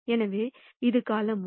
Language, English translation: Tamil, So, this is column 1